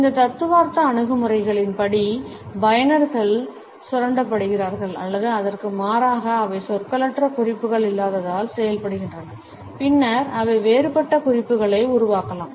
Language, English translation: Tamil, According to these theoretical approaches, users exploit or rather they work through the relative lack of nonverbal cues and then they can also develop a different set of cues